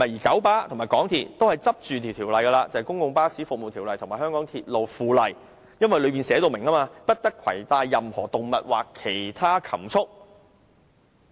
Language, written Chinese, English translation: Cantonese, 九巴和港鐵公司分別倚仗《公共巴士服務條例》和《香港鐵路附例》，因當中列明不得攜帶任何動物或其他禽畜。, KMB and MTRCL are relying on the Public Bus Services Ordinance and the Mass Transit Railway By - Laws respectively which stipulate that no animals or poultry are allowed to be brought on board